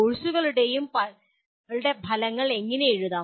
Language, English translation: Malayalam, Now how do we write the outcomes of courses